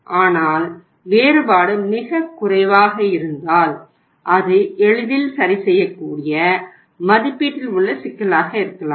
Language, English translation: Tamil, But if the difference is too low then you can say that yes there can be some kind of errors, problems in estimation which can be easily taken off